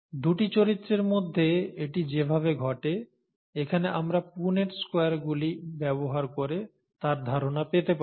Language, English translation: Bengali, This is how it happens with two characters which we can get an idea by using the Punnett Squares here